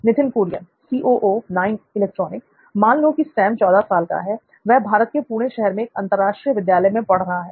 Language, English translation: Hindi, Right So let us have Sam with age 14 years, let them be studying in an international school in Pune, India